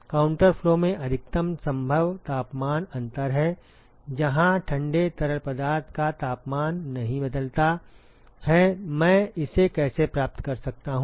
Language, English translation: Hindi, That is the maximum possible temperature difference in a counter flow, where the temperature of the cold fluid does not change, how can I achieve this